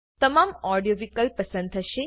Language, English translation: Gujarati, All the audio clips will be selected